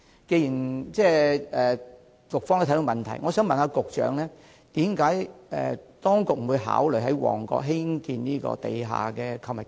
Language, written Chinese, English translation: Cantonese, 既然局方也看到問題所在，我想問局長為何當局不考慮在旺角發展地下購物街？, Since the Bureau also understands where the problem lies I would like to ask the Secretary why does the Government not consider developing underground shopping streets in Mong Kok?